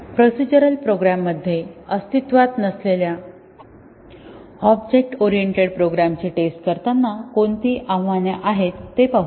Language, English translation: Marathi, Let us look at what are the challenges of testing object oriented programs which did not exist in procedural programs